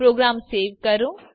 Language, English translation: Gujarati, Save the program